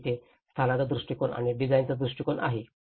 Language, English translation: Marathi, And where the location approach and the design approach